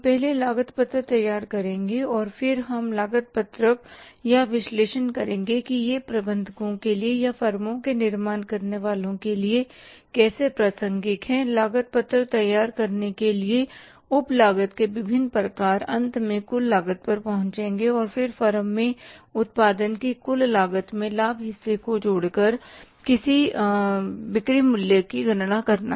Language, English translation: Hindi, We will prepare the cost sheet first and then we will analyze the cost sheet that how it is relevant for the managers or for the decision makers in the firms to prepare the cost sheet have the different types of these sub costs, finally arrive at the total cost and then calculating the selling price by adding up the margin in the total cost of the production in the form